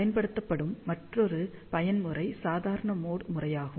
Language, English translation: Tamil, The other mode, which is commonly used is normal mode